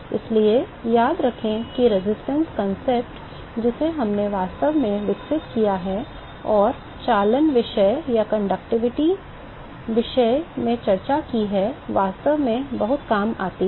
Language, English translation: Hindi, So, remember that the resistance concept that we have actually developed and discussed in conduction topic actually comes very handy